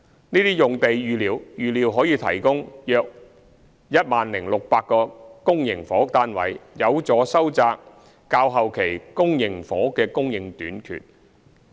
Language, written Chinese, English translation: Cantonese, 這些用地預料可提供約 10,600 個公營房屋單位，有助收窄較後期公營房屋的供應短缺。, The sites are expected to provide some 10 600 public housing units which will help narrow the public housing shortage in later years